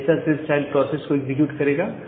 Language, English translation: Hindi, So, this part will only execute at the child process